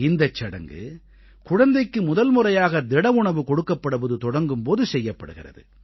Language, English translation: Tamil, This ritual is performed when the toddler starts feeding on solid food for the first time; solid and not liquid food